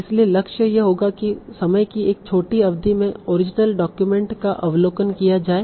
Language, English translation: Hindi, So the goal would be to give in overview of the original document in a short period of time